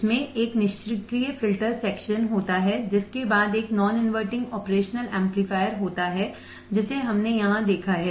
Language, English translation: Hindi, it consists simply of a passive filter section followed by a non inverting operational amplifier we have seen this here